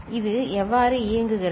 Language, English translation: Tamil, So, how it works